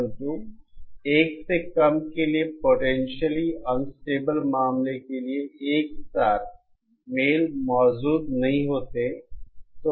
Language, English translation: Hindi, For K lesser than 1, there is for the potentially unstable case, a simultaneous match does not exist